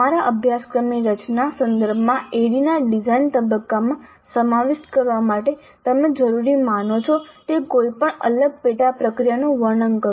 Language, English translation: Gujarati, Describe any different sub processes you consider necessary to be included in the design phase of ID with respect to designing your course